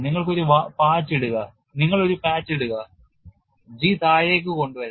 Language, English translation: Malayalam, You put a patch, G can be brought down